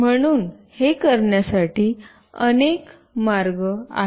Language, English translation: Marathi, So, there are variety of ways you can do it